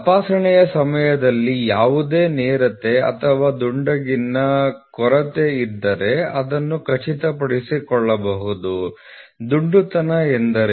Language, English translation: Kannada, During inspection it can be ensure that if there is any lack of straightness or roundness; what is roundness